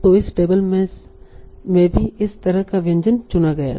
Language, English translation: Hindi, So that means this table also the same dish was chosen